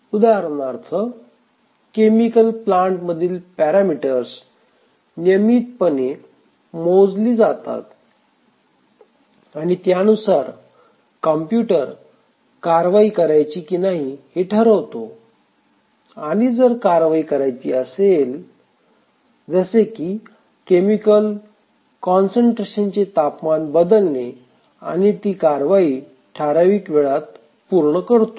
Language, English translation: Marathi, For example, let's say a chemical plant, the parameters of the plant are sensed periodically and then the computer decides whether to take a corrective action and if there is a corrective action like changing the temperature or chemical concentration and so on it does within certain time